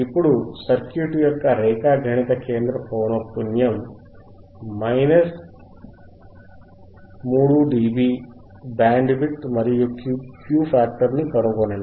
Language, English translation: Telugu, Now, find the geometric center frequency, minus 3dB bandwidth and Q of the circuit